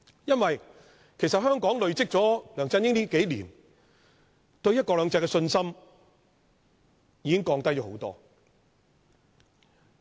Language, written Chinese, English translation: Cantonese, 因為香港經歷了梁振英數年的管治後，對"一國兩制"的信心已經大大降低。, Because peoples confidence in one country two systems has significantly weakened after LEUNG Chun - yings governance in the past years